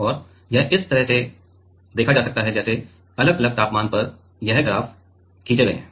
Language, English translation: Hindi, And it goes from like this graphs are drawn at different different temperature